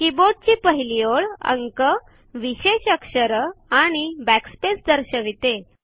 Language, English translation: Marathi, The first line of the keyboard displays numerals special characters and the backspace key